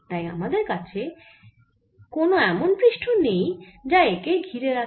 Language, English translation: Bengali, so we do not have a surface enclosed with it